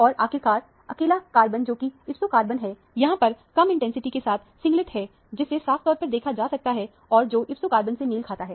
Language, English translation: Hindi, And finally, the lonely carbon, which is an ipso carbon here as a singlet with a less intensity is very clearly seen; which corresponds to the ipso carbon